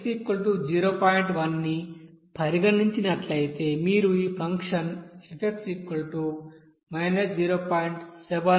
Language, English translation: Telugu, 1 you will get this function f will be equals to 0